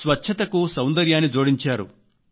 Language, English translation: Telugu, They have added beauty with cleanliness